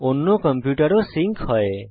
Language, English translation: Bengali, The other computer is also sync now